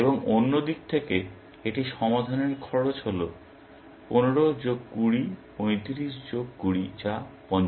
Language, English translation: Bengali, And the cost of solving it from the other side is 15 plus 20, 35 plus 20, which is 55